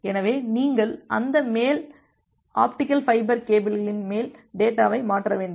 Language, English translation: Tamil, So, you need to transfer the data on top of that top optical fiber cable